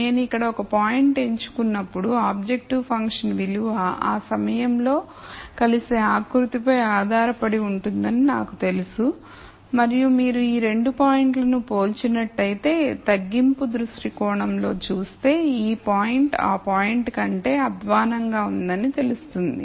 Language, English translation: Telugu, So, when I pick a point here I know that the objective function value would be based on the contour which intersects at that point and if you compare these 2 points you will see that this point is worse o than this point, from a minimization viewpoint